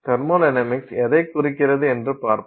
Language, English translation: Tamil, Thermodynamics this is what is happening